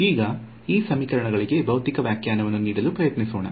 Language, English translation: Kannada, So, now, let us just try to give a physical interpretation to these equations